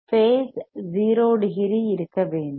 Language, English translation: Tamil, The phase should be 0 degrees